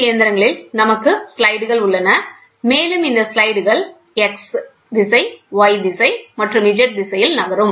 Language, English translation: Tamil, So, in CNC machines we have slides, and these slides move in x direction, y direction and z direction